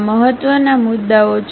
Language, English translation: Gujarati, There are important points